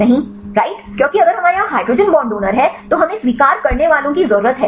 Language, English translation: Hindi, no right because if we have the hydrogen bond donor here, there we need the acceptors